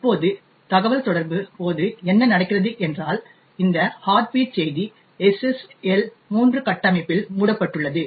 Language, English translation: Tamil, Now, what happens during the communication is that this particular heartbeat message is wrapped in SSL 3 structure